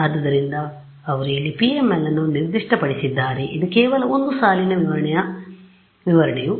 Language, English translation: Kannada, So, they have specified here PML this is just one line specification set a PML of thickness 1